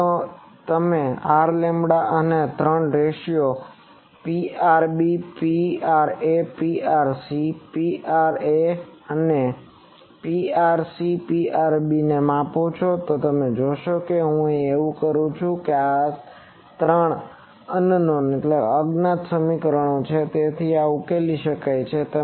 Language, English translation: Gujarati, Now, you measure R, lambda and these three ratios P rb P ra, P rc P ra and P rc P rb, you see that if I do that everything is known this is three equations in three unknowns so this can be solved